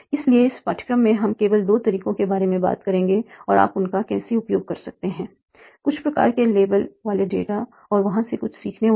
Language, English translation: Hindi, So in this course we will talk about the first two methods and how you can use that by having some sort of label data and doing some learning from there